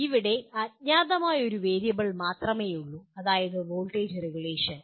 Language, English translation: Malayalam, Here there is only one unknown variable namely voltage regulation